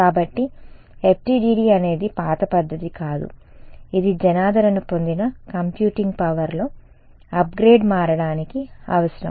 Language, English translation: Telugu, So, FDTD is not that old a method also its only a it needed a upgrade in computing power to become popular right